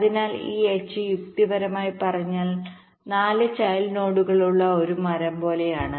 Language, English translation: Malayalam, so this h, logically speaking, is like a tree with four child nodes